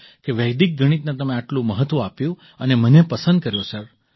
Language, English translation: Gujarati, That you gave importance to Vedic maths and chose me sir